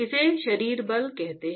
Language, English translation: Hindi, It is called body forces